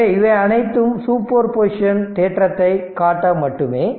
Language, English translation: Tamil, So, it is just to show you the super position theorem